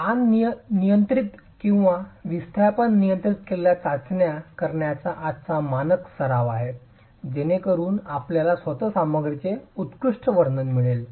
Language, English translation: Marathi, So it's standard practice today to carry out tests that are strain controlled or displacement controlled so that you get post peak behavior of the material itself